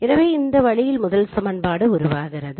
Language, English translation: Tamil, So in this way the first equation is formed